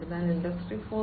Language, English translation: Malayalam, So, Industry 4